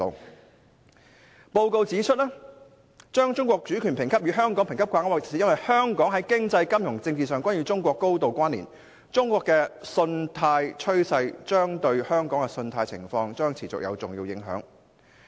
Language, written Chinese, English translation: Cantonese, 穆迪的報告指出，把中國主權評級與香港評級掛鈎，是因為香港在經濟、金融及政治上均與中國高度關連，中國的信貸趨勢對香港的信貸情況將持續有重要影響。, As pointed out in Moodys report the sovereignty rating of China is pegged to the rating of Hong Kong for reasons that Hong Kong is closely connected with China economically financially and politically and that the credit trends of China will persistently have crucial impacts on the credit profile of Hong Kong